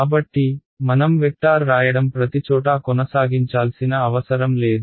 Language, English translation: Telugu, So, I do not have to keep writing vector; vector everywhere